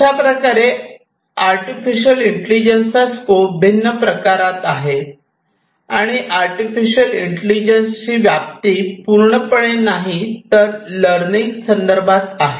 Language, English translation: Marathi, So, this is basically the scope of artificial intelligence and the different forms of not the scope of artificial intelligence, entirely, but in the context of learning